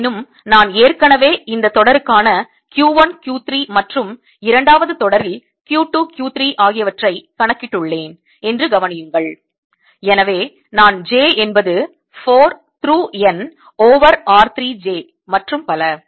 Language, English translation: Tamil, however, notice that i have already accounted for q one, q three in this term and q two, q three in the second term and therefore i have j equals four through n over r three, j and so on